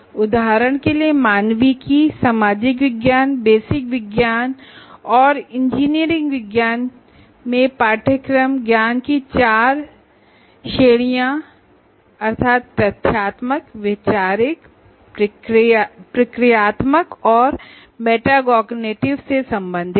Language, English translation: Hindi, For example, courses in humanities, social sciences, basic sciences, courses in humanities, social sciences, basic sciences and engineering sciences deal with the four general categories of knowledge, namely factual, conceptual, procedural and metacognitive